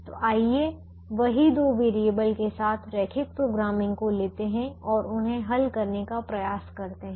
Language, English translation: Hindi, so let us take the same linear programming with two variables and try to solve them